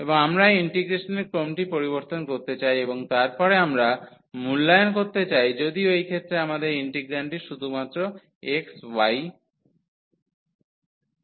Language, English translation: Bengali, And we want to change the order of integration and then we want to evaluate though in this case our integrand is just xy